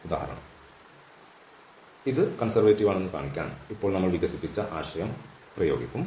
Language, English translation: Malayalam, So, to show that this is conservative, we will apply the idea which was developed now